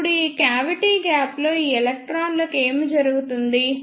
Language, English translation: Telugu, Now, what will happen to these electrons in this cavity gap